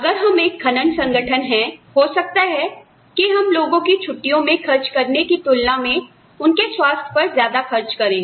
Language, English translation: Hindi, If we are a mining organization, we may end up spending, much more on health, than on, say, compensating people, for their vacations